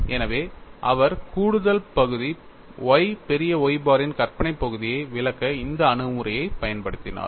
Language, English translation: Tamil, So, he used this approach to explain the additional term y imaginary part of Y bar